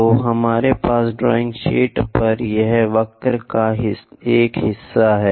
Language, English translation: Hindi, So, we have a part of the curve here on the drawing sheet